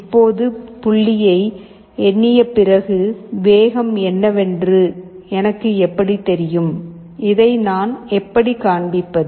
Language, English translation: Tamil, Now after counting the point is how do I know what is the speed, how do I show